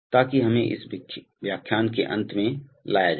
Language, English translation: Hindi, So that brings us to the end of this lecture